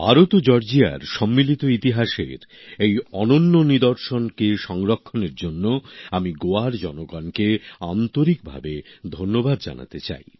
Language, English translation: Bengali, Today, I would like to thank the people of Goa for preserving this unique side of the shared history of India and Georgia